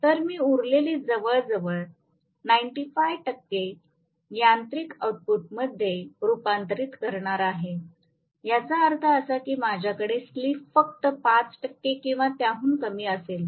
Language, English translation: Marathi, So, I am going to have almost 95 percent being going into being converted into mechanical output, which means I am going to have actually slip to be only about 5 percent or even less